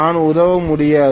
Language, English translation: Tamil, I cannot help it